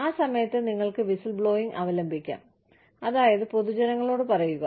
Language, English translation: Malayalam, At that point, you could resort to whistleblowing, which means, telling the general public